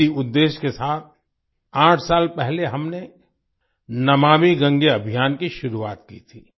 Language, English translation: Hindi, With this objective, eight years ago, we started the 'Namami Gange Campaign'